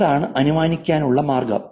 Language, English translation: Malayalam, That's the way to infer